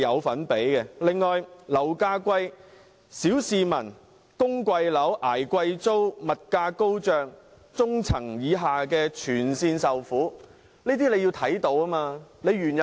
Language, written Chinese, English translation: Cantonese, 此外，樓價高昂，小市民要供貴樓、捱貴租，物價高漲，中層以下的市民全部受害。, Moreover given the high property prices the lower and middle classes all have to bear high mortgage repayments heavy rents and soaring prices